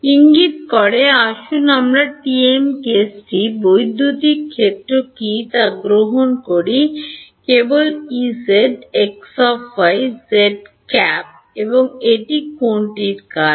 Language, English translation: Bengali, Pointing so, let us say take the TM case what is electric field, only E z and what is it a function of